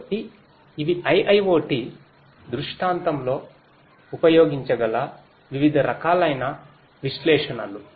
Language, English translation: Telugu, So, these are the different types of analytics that could be used in an IIoT scenario